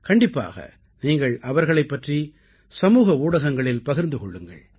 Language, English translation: Tamil, You must share about them on social media